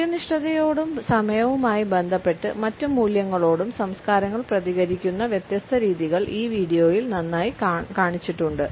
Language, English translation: Malayalam, The different ways in which cultures respond to punctuality and other time related values is nicely displayed in this video